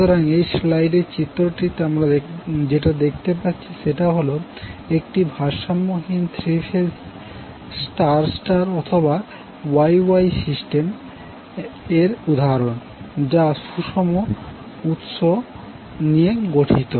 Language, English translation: Bengali, So in the figure which we just saw in this slide this is an example of unbalanced three phase star star or you can also say Y Y system that consists of balance source